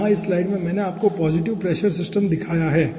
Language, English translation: Hindi, so here in this slide i have shown you one positive pressure system